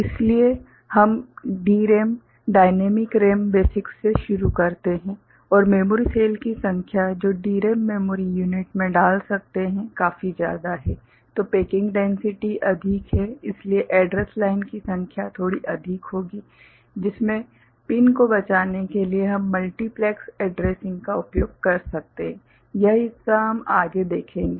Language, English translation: Hindi, So, we start from DRAM, dynamic RAM basics and since the number of memory cell that can put into a DRAM memory unit is quite large the packing density is higher, so the number of address line will be a bit more for which to save pins we can utilize multiplexed addressing that part we shall see